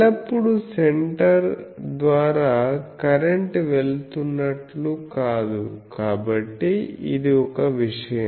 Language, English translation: Telugu, And so, it is not always that the through center the current is going, so that is one thing